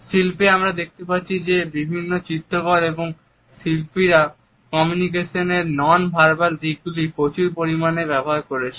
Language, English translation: Bengali, In art also we find that various painters and artists have utilized richly the nonverbal aspects of communication